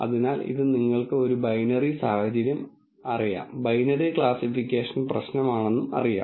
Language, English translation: Malayalam, So, this is you know a binary situation, binary classification problem